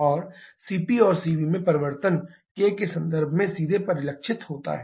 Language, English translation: Hindi, And the change in CP and Cv is directly reflected in terms of the K